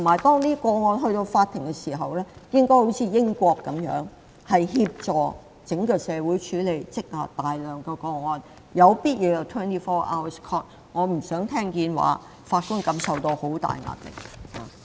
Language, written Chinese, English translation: Cantonese, 當法庭接手處理這些個案時，應效法英國，協助整個社會處理這大量積壓的個案，必要時法庭可24小時運作。, When the courts take over the cases they should follow the practice of the United Kingdom to clear the immense backlog . The courts can operate round the clock if so required